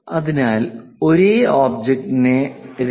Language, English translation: Malayalam, So, for the same object the 2